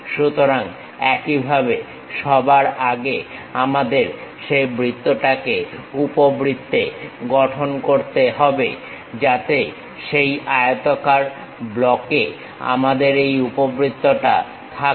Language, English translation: Bengali, So, in the similar way first of all we have to construct that circle into ellipse so that, we will be having this ellipse on that rectangular block